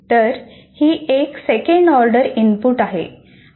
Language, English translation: Marathi, So it is a second order input kind of thing